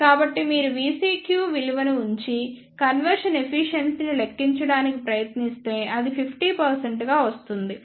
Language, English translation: Telugu, So, if you put the value of V CQ and try to calculate the conversion efficiency then it will come out to be 50 percent